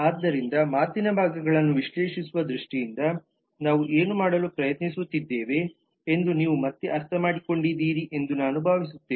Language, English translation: Kannada, so i hope you have understood again as to what we are trying to do in terms of analyzing the parts of speech